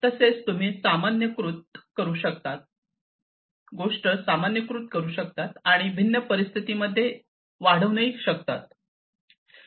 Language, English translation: Marathi, And this thing you can generalize and extend to different, different scenarios, likewise